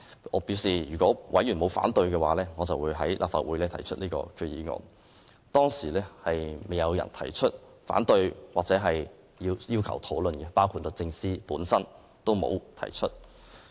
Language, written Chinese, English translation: Cantonese, 我表示，如果委員不反對，我便會在立法會上提出擬議決議案，當時沒有委員表示反對或要求討論，包括律政司也沒有提出。, I also told members my intention to move the proposed resolution in the Council if they did not raise any opposition . Neither members nor DoJ spoke against the resolution or requested to discuss it